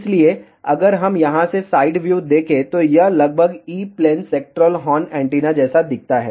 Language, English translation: Hindi, So, if we just look at the side view from here, this almost looks like a E plane sectoral horn antenna